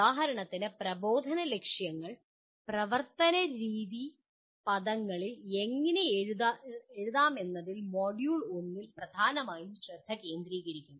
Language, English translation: Malayalam, For example Module 1 will dominantly focus on how to write Instructional Objectives in behavioral terms